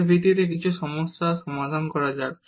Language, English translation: Bengali, Let us solve some problem based on this